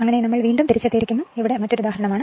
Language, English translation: Malayalam, So, we are back again so, this is another example right